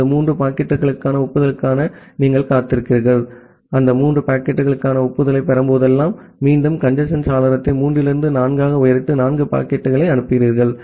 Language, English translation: Tamil, You wait for the acknowledgement for those three packets, whenever you are receiving the acknowledgement for those three packets, again you increase the congestion window to four from three, and send four packets